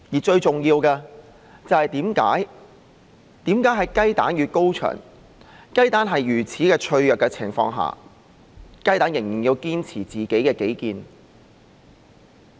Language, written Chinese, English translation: Cantonese, 最重要的是，為何在雞蛋與高牆之間，雞蛋在如此脆弱的情況下仍然要堅持己見？, Most importantly between the eggs and the high wall why do the eggs still adhere to their opinions given their frailty?